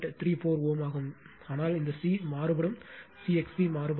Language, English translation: Tamil, 34 ohm, but this C is varying C X C varying